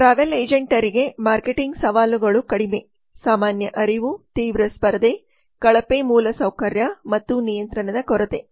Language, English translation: Kannada, the marketing challenges for the travel agent are low general awareness intense competition poor infrastructure and lack of control